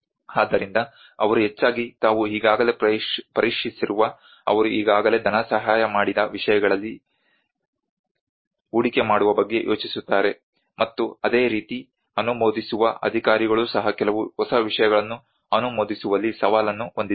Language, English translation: Kannada, So they mostly think of invest in what they have already tested what they have already funded before and similarly the approving authorities they also have a challenge in approving some new things